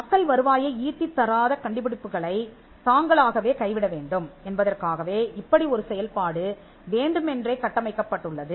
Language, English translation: Tamil, Now, this is deliberately structured in such a way that people would abandon inventions that are not generating revenue